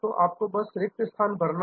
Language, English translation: Hindi, So, you simply have to fill in the blanks